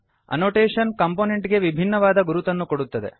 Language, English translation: Kannada, Annotation gives unique identification to each component